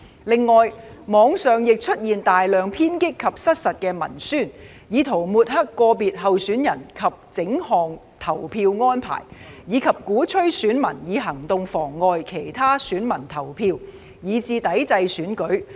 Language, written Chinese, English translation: Cantonese, 另外，網上亦出現大量偏激及失實的文宣，以圖抹黑個別候選人及整項投票安排，以及鼓吹選民以行動妨礙其他選民投票，以至抵制選舉。, In addition a large quantity of extreme and misrepresented propaganda appeared on the Internet in an attempt to discredit individual candidates and the entire polling arrangement advocate electors to take actions to obstruct other electors from voting as well as boycott that Election